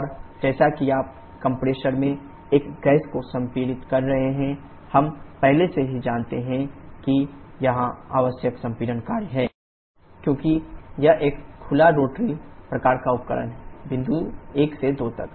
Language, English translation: Hindi, And as you are compressing a gas in the compressor, we already know the compression work required here is integral minus vdP because this is an open cycle rotary kind of device, from point 1 to 2